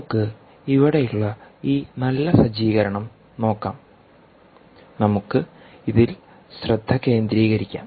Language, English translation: Malayalam, lets go back to this nice setup that we have here and lets focus on this